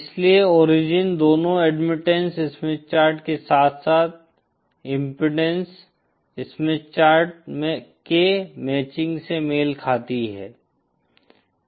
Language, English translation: Hindi, So the origin corresponds to the matching for both the Admittance Smith Chart as well as the Impedance Smith Chart